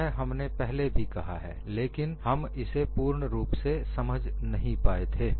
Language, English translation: Hindi, We have stated that earlier, but we are not understood it completely